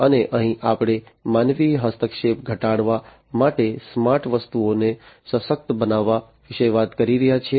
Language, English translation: Gujarati, And here we are talking about empowering smart objects to reduce human intervention